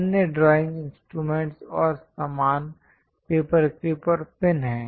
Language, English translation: Hindi, The other drawing instruments and accessories are paper clips and pins